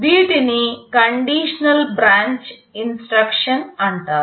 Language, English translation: Telugu, These are called conditional branch instruction